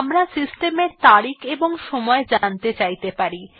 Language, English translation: Bengali, We may be interested in knowing the system date and time